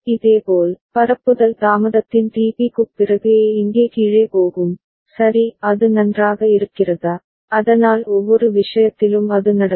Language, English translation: Tamil, Similarly, A will go down here after that propagation time of propagation delay tp, right is it fine, so that will happen in every case